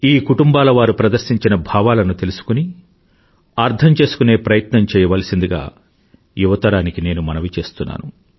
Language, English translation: Telugu, I urge the young generation to know and understand the fortitude and the sentiment displayed by these families